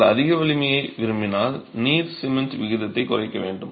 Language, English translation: Tamil, If it is, if you want very high strength, water cement ratio has to be reduced